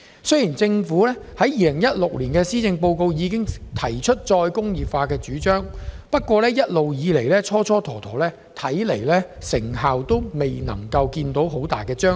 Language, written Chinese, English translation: Cantonese, 雖然政府早在2016年的施政報告已提出再工業化的主張，但一直蹉跎時間，未見顯著成效。, Even though the idea of re - industrialization was first proposed early in the 2016 Policy Address the Government has then been wasting time and failed to make any significant achievements